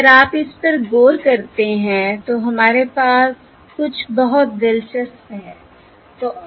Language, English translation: Hindi, So if you look at this, we have something very interesting